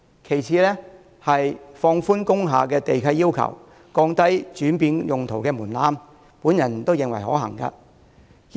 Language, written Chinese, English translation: Cantonese, 其次是放寬工廈地契要求，降低轉變用途的門檻，我認為亦是可行做法。, Second I reckon that relaxing the lease requirements for industrial buildings and lowering the threshold for change of use are viable practices